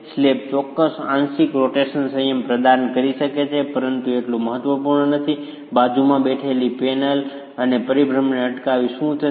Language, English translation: Gujarati, The slab might offer a certain partial rotational restraint but is not as significant as what a panel sitting beside and preventing rotations would do